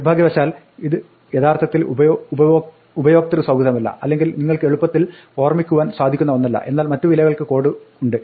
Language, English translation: Malayalam, Unfortunately this is not exactly user friendly or something that you can easily remember, but there are codes for other values